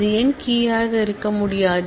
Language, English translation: Tamil, Why can it not be a key